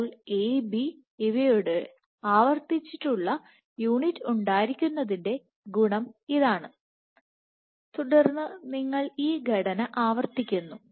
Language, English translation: Malayalam, So, this is the advantage of having a repeating unit of A B and then you repeat the structure